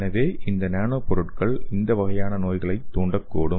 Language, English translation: Tamil, So this nano materials can also induce this kind of diseases, okay